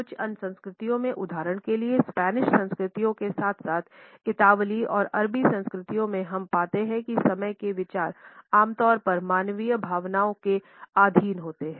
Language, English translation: Hindi, In certain other cultures for example, in Spanish culture as well as in Italian and Arabic cultures, we find that the considerations of time are usually subjected to human feelings